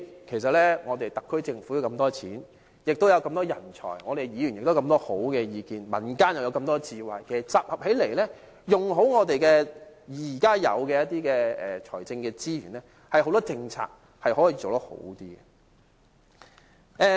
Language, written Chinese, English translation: Cantonese, 其實，特區政府坐擁大筆盈餘，有這麼多人才，議員亦提出很多好的意見，民間亦有這麼多智慧，其實集合起來，善用現有的財政資源，很多政策可以做得更好。, This measure has been implemented for a period of time and the views on its effectiveness are rather different . Sitting on huge surplus and having recruited a lot of talented people the Government should in fact introduce better policies by making good use of the existing fiscal resources and incorporating the many precious views from Members and clever ideas from the public